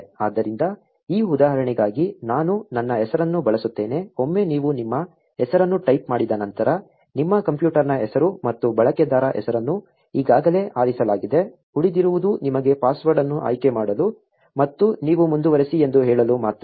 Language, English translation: Kannada, So, for this example I will just use my name, once you type in your name, your computer's name and user name is already picked, all that is left is for you choose a password and you say continue